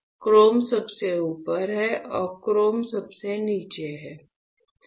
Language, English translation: Hindi, So, gold is at a top and chrome is at the bottom